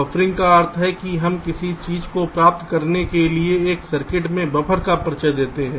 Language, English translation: Hindi, buffering means we introduce buffers in a circuit in order to achieve something, that something